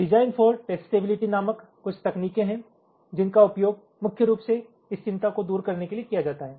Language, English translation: Hindi, there are some techniques, called design for testability, which is used, primary, to address this concern